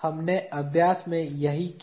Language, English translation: Hindi, That is what we did in the exercise